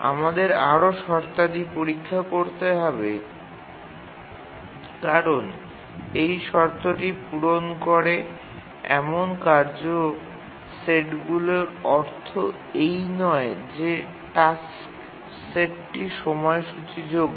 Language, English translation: Bengali, Just because task set has met this condition does not mean that the task set is schedulable